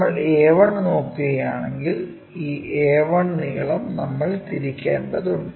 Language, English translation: Malayalam, If, we are looking a 1, this a 1 length we have to rotate it